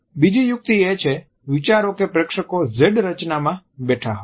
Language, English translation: Gujarati, Another trick is to think of the audience as sitting in a Z formation